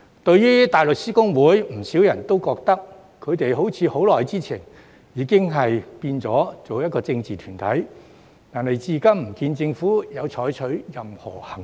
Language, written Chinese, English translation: Cantonese, 對於大律師公會，不少人也覺得，他們好像很久前已變成一個政治團體，但至今不見政府有採取任何行動。, As for HKBA many people have an impression that it has turned into a political body long ago and yet the Government has not taken any action so far